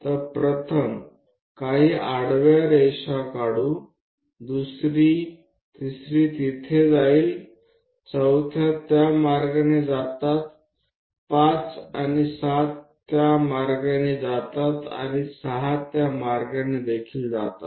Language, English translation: Marathi, So, let us draw few horizontal lines first one, second one, third one goes there, fourth one also goes in that way 5 and 7 goes in that way and 6 also goes in that way